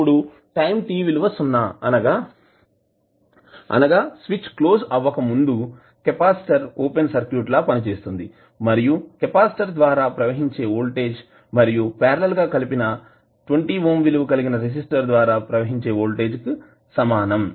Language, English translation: Telugu, Now at t is equal to 0 minus that means just before the switch is closed the capacitor acts like a open circuit and voltage across it is the same as the voltage across 20 ohm resistor connected in parallel with it